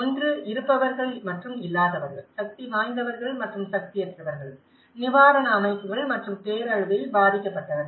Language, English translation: Tamil, One is the haves and the have nots, the powerful and the powerless, the relief organizations and the victims of the disaster